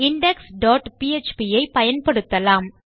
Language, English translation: Tamil, We will use our index dot php